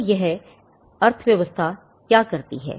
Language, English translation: Hindi, So, what does this regime do